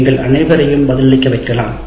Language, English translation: Tamil, You can make all the students respond